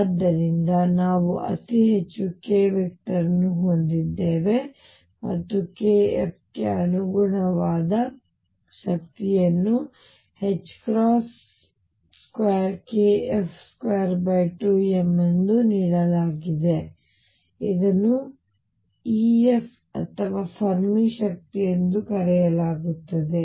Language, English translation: Kannada, So, we have related what is the highest occupied k vector and the corresponding energy for k f is given as h crosses square k f square over 2 m which is known as the epsilon f of Fermi energy